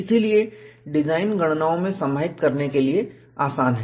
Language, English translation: Hindi, So, easy to integrate in design calculations